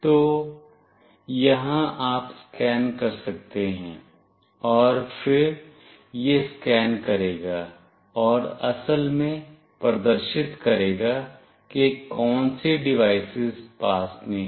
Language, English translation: Hindi, So, here you can scan, and then it will scan and will actually display what all devices are nearby